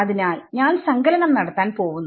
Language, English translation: Malayalam, So, I am going to have a summation